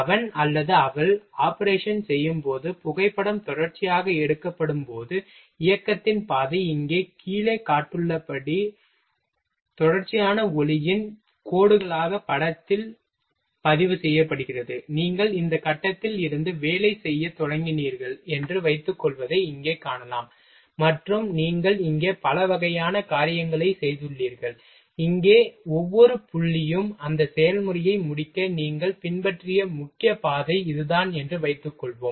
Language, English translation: Tamil, When he or she performs the operation, and photograph is taken continuously, the path of the motion is recorded on the film as continuous streak of light as shown below here, you can see that here suppose that you have started working from this point, and you have done several kind of things here, here, here in suppose that each point, this is the main path you have followed to complete that process